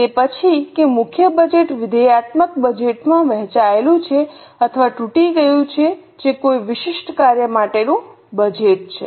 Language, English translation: Gujarati, Then that the master budget is divided or broken down into functional budgets, which are budgets for a particular function